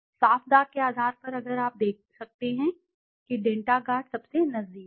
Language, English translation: Hindi, On basis of clean stains if you can see Denta Guard is the closest